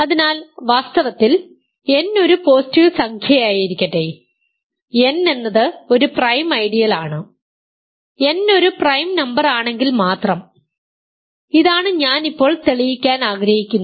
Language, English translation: Malayalam, So in fact, more generally let n be a positive integer, then nZ is a prime ideal if and only if n is a prime number, this is what I want to prove now